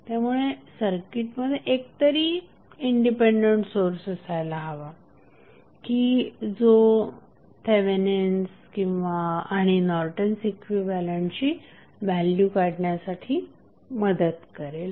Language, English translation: Marathi, So, this we have to keep in mind that there should be at least one independent source which helps you to determine the value of Thevenin and Norton's equivalent